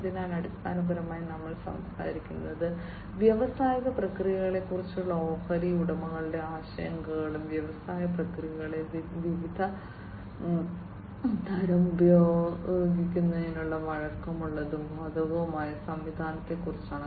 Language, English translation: Malayalam, So, basically we are talking about highlighting the stakeholders concerns regarding the industrial processes, and flexible and applicable system for use of various types in the industrial processes